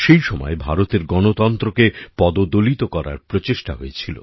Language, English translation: Bengali, At that time an attempt was made to crush the democracy of India